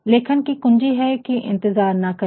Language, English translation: Hindi, The key to writing is not to wait